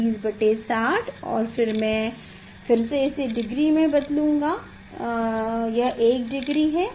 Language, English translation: Hindi, 20 by 60 and then that again I will convert to the degree, this is one degree